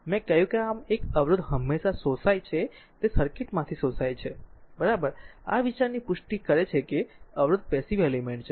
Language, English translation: Gujarati, I told you thus a resistor always your absorbed power from the circuit it absorbed, right this confirms the idea that a resistor is passive element